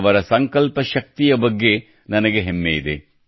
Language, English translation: Kannada, I am proud of the strength of her resolve